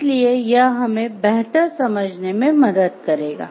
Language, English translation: Hindi, So, that it helps us in a better understand